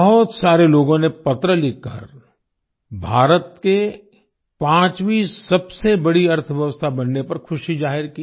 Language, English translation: Hindi, Many people wrote letters expressing joy on India becoming the 5th largest economy